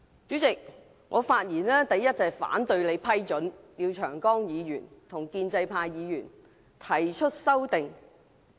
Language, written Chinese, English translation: Cantonese, "主席，我發言，首先是反對你批准廖長江議員與建制派議員提出修訂。, President my speech first aims to raise objection to your approval for Mr Martin LIAO and pro - establishment Members to propose their amendments